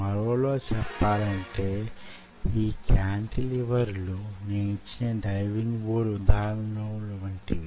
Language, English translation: Telugu, in other word, these cantilever is just like i give you the example of that diving board